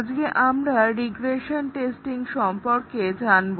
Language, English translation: Bengali, Today, we look at regression testing